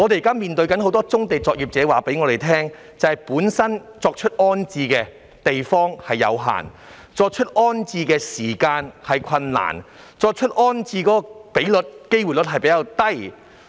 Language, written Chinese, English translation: Cantonese, 有很多棕地作業者告訴我們，重置地方有限，重置時間有困難，而成功重置的比率或機會率亦較低。, Many brownfield operators have told us about limited space at the reprovisioned site their difficulties in the course of reprovisioning and the relatively low rate or chance of successful reprovisioning